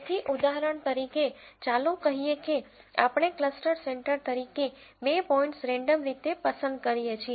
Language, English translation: Gujarati, So, for example, let us say we randomly choose two points as cluster centres